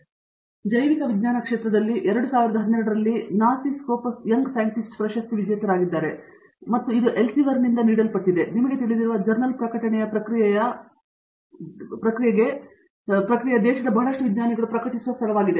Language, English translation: Kannada, He is also NASI Scopus Young Scientist Award winner in the year of 2012 in the field of Biological Sciences and this is given by Elsevier which is you know, body of a journal publication process which you know, which is where lot of scientists publish